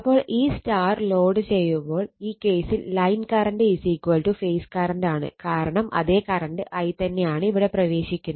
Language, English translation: Malayalam, So, when loading this star in this case, line current is equal to phase current because same current is your what we call, the same current i is going entering here right